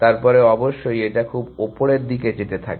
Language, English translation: Bengali, Then of course, it tends to go very highly